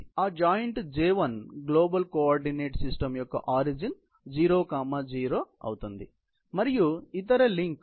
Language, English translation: Telugu, So, that joint J1 comes at the origin exactly to (0, 0) of the global coordinate system and the other link